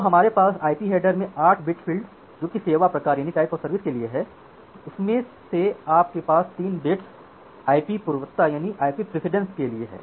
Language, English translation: Hindi, So, we have a 8 bit field, 8 bit type of service field in the IP header in that type of service field in the IP header you have 3 bits for IP precedence